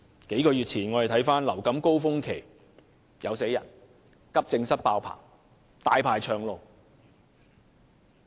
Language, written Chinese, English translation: Cantonese, 數月前的流感高峰期，有病人死亡，急症室爆滿，候診者"大排長龍"。, During the peak season of influenza several months ago patients died and the accident and emergency departments were packed with patients awaiting treatment